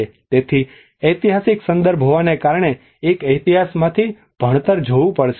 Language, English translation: Gujarati, So because being a historic context one has to look at the learning from history